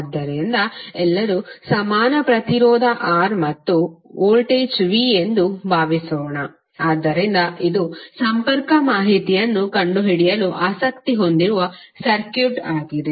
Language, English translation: Kannada, So suppose all are of equal resistance R and this is voltage V, so this is the circuit you may be interested to find out the connectivity information